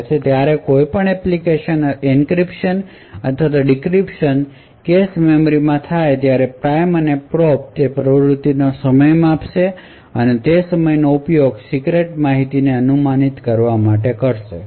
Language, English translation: Gujarati, So, whenever there is an encryption or decryption that takes place the prime and probe would measure the activities on the cache memory and use that timing to infer secret information